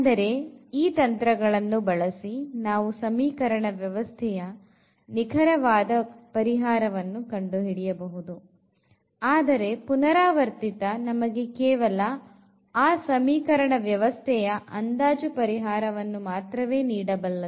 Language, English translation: Kannada, The direct methods meaning that we get actually the exact solution of the system using these techniques whereas, here the iterative methods the they give us the approximate solution of the given system of equation